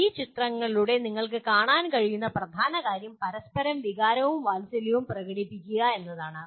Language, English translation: Malayalam, The main thing that you can see through these pictures is expressing and demonstrating emotion and affection towards each other